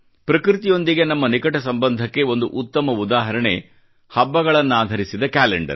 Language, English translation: Kannada, A great example of the interconnection between us and Nature is the calendar based on our festivals